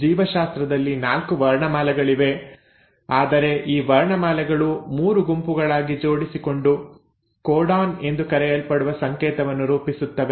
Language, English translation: Kannada, Now each, so in biology the alphabets are 4, but these alphabets arrange in groups of 3 to form a code which is called as the “codon”